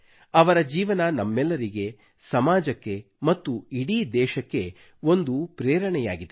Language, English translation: Kannada, His life is an inspiration to us, our society and the whole country